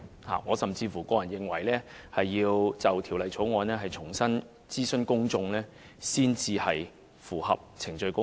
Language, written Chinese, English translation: Cantonese, 我個人甚至認為，就《條例草案》必須重新諮詢公眾，才能符合程序公義。, I personally even hold that only by consulting the public again on the Bill can procedural justice be upheld